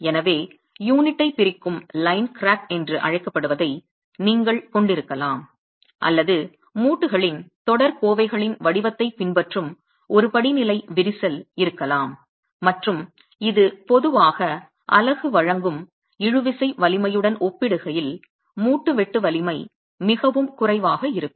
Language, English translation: Tamil, So, you can have what is called a line crack splitting the unit or you can have a stepped crack that actually follows the pattern of the courses, the joints and that's typically when the joint shear strength is far lower in comparison to the tensile strength offered by the unit itself